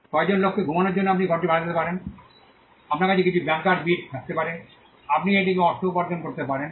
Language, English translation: Bengali, You could rent this room out for a couple of people to sleep you can have some bunker bits and you can make some money off of it